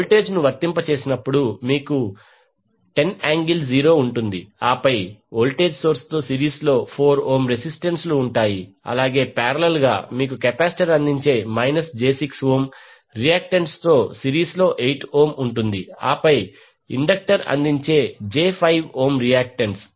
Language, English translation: Telugu, You will have 10 angle 0 as a voltage applied and then resistance 4 ohm in series with the voltage source, in parallel you have 8 ohm in series with minus j 6 ohm as a reactance offered by this capacitor and then j 5 ohm reactance offered by the inductor